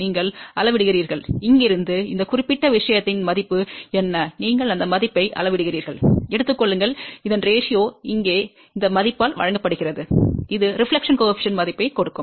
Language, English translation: Tamil, You measure from here to here, what is the value of this particular thing and you measure this value, take the ratio of this divided by this value over here and that will give the value of the reflection coefficient